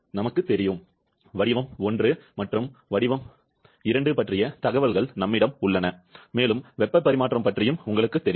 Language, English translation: Tamil, We know, we have information about state 1 and 2 and you also know about the heat transfer